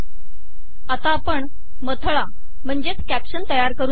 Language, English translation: Marathi, Let us now create a caption